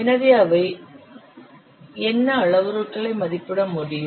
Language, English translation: Tamil, So, what parameters can be estimated